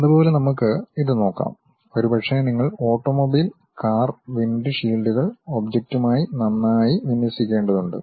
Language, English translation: Malayalam, Similarly, let us look at this, maybe you have an automobile car windshields have to be nicely aligned with the object